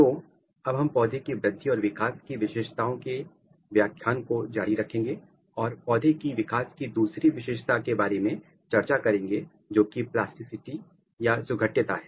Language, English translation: Hindi, So, now we will continue this lecture of characteristic of plant growth and development and another very important characteristic of plant development is plasticity